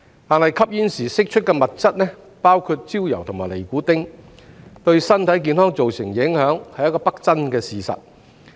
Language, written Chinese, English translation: Cantonese, 但是，吸煙時釋出的物質，包括焦油和尼古丁，對身體健康造成影響是不爭的事實。, However it is indisputable that the substances emitted from smoking including tar and nicotine have an adverse impact on health